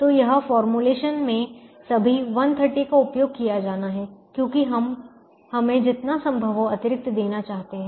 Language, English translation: Hindi, so this formulation, all the hundred and thirty, have to be used because we want give us much extra as possible